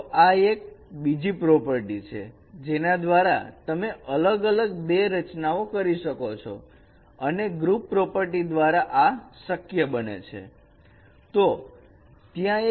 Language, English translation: Gujarati, So this is another property we can, you can perform these compositions with different compositions and this is possible because of that group property